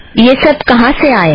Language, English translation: Hindi, Where do these come from